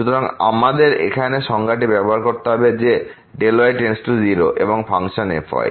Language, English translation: Bengali, So, we have to use the definition now that delta y goes to 0 and of the function